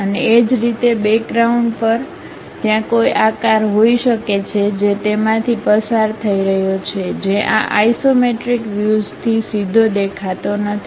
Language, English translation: Gujarati, And, similarly at background there might be a shape which is passing through that which is not directly visible from this isometric view